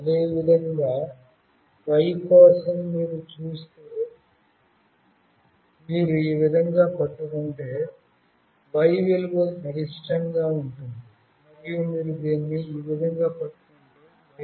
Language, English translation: Telugu, Similarly, for Y if you see, if you hold it this way, the Y value will be maximum; and if you hold it in this way, the Y value will be minimum